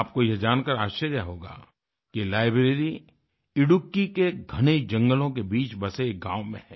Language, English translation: Hindi, You will be surprised to learn that this library lies in a village nestling within the dense forests of Idukki